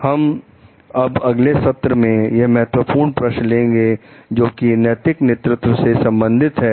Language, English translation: Hindi, We will take up key questions related to moral leadership in the next session